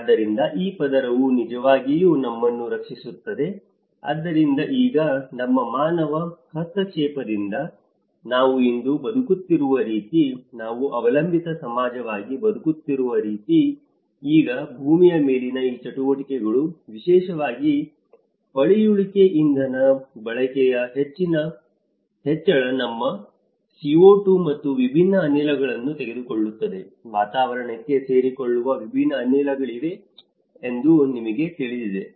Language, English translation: Kannada, So, this layer is actually protecting us but now, with our human interventions, the way we are living today, the way we are living as a dependent society, now these activities on the earth especially, the escalation of the fossil fuel consumptions which is taking our CO2 and different gases, you know there is a different gases which reach to the atmosphere conditions